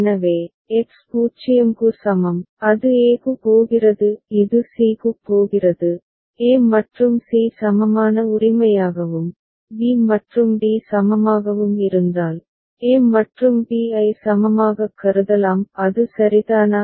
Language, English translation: Tamil, So, x is equal to 0, it is going to a; it is going to c, if a and c are equivalent right and b and d are equivalent right then a and b can be considered as equivalent; is it fine right